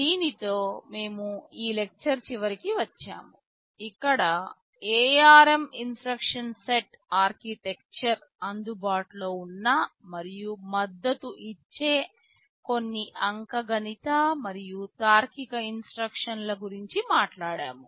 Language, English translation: Telugu, With this we come to the end of this lecture where we have talked about some of the arithmetic and logical instructions that are available and supported by the ARM instruction set architecture